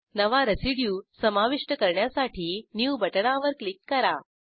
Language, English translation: Marathi, To add a new residue, click on New button